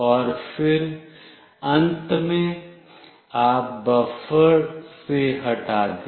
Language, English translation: Hindi, And then finally, you remove from the buffer